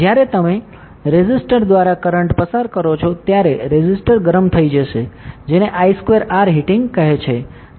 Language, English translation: Gujarati, When you pass current through a resistor, the resistor will get heated up right, that is called I square are heating